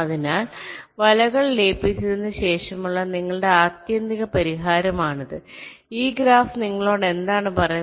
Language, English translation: Malayalam, so this is your, your ultimate solution after merging the nets: what this graph tells you